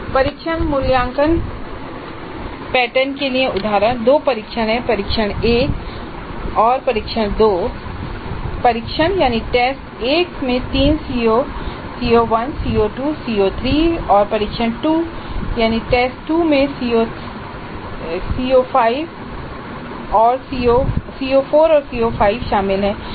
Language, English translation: Hindi, There are two tests, test one and test two and the test one covers three COs CO1, CO2 CO3 and test 2 covers 2 CO2 CO2 CO3